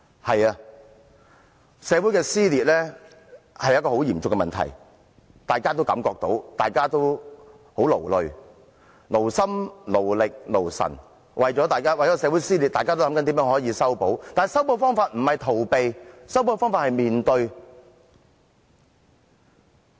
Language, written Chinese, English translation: Cantonese, 對的，社會撕裂是很嚴重的問題，大家均感覺到，大家也很勞累，為了社會的撕裂，大家勞心、勞力和勞神地設法修補，但修補方法不是逃避，修補方法應是面對。, We all feel the heat and we are all tired . Social dissensions have taxed on our mind and body . We have tried our best to mend the gap and the way to do it is not to avoid the problem but to face it squarely